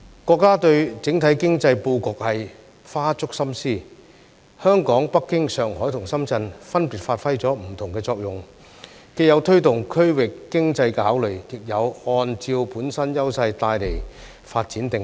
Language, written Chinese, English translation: Cantonese, 國家對整體經濟布局花足心思，香港、北京、上海和深圳分別發揮了不同的作用，既有推動區域經濟的考慮，亦有按照本身優勢帶來發展定位。, Our country has devoted much effort to the overall economic layout . Hong Kong Beijing Shanghai and Shenzhen have played their respective roles giving consideration to promoting regional economy and positioning themselves in accordance with their own strengths